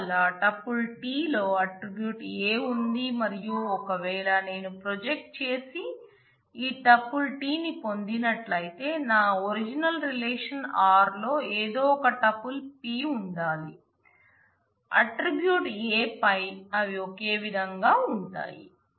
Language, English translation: Telugu, So, in the tuple t the a attribute exists and if I have projected and got this tuple t then in my original relation r there must be some tuple p such that on the attribute a they match they are same